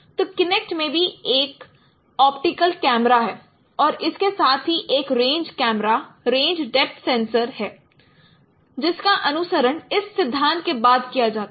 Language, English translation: Hindi, So, Kynet also has an optical camera and along with there is a range camera, range depth sensors following this which is captured following this principle